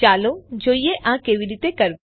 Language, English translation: Gujarati, Let us see how it it done